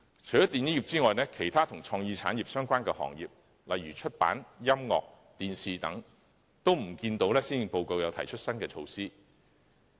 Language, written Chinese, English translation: Cantonese, 除了電影業外，關於其他與創意產業相關的行業，例如出版、音樂、電視等，均未見施政報告提出新的措施。, We have not seen any new measures proposed in the Policy Address for the film industry as well as other industries related to the creative industries such as publication music television and so on